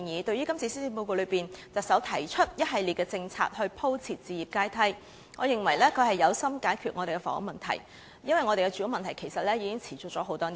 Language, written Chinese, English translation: Cantonese, 對於特首今次在施政報告中提出一系列政策以鋪設置業階梯，我認為特首有心解決香港的房屋問題，因為我們的住屋問題已經持續多年。, In light of the Chief Executives proposal on a series of policies for laying the housing ladder in the Policy Address I think the Chief Executive has the heart to resolve the housing problem in Hong Kong since our housing problem has already persisted for years